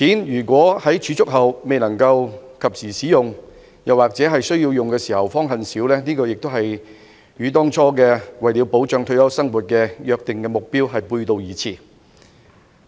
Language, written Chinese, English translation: Cantonese, 如果在儲蓄金錢後未能及時使用，或在有需要時方恨少，這亦與當初保障退休生活的目標背道而馳。, If the savings cannot be used in a timely manner or are found not enough when needed it runs counter to the original intent of protecting retirement life